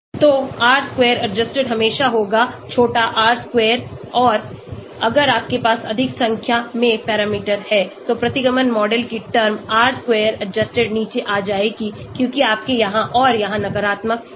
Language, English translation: Hindi, So R square adjusted will always be<R square and if you have more number of parameters, terms in the regression model, R square adjusted will come down because you have negative here and here